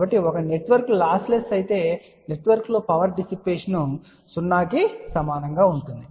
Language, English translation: Telugu, So, if a network is lossless what will be the power dissipated in the network, it will be equal to 0